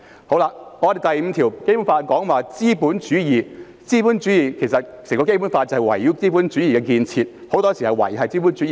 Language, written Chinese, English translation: Cantonese, 《基本法》第五條提及資本主義，整本《基本法》其實是圍繞資本主義的建設，維繫資本主義。, Article 5 of the Basic Law mentions the capitalist system . In fact the entire Basic Law centred on the capitalist structures seeks to maintain capitalism